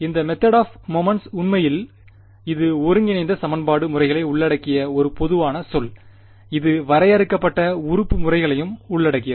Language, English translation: Tamil, And this method of moments is actually it is a very general term it includes integral equation methods; it also includes finite element methods ok